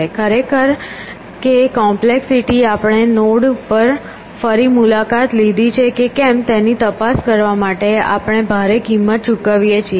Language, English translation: Gujarati, actually or complexity are we paying a heavy cost for simple checking whether we have visited on node again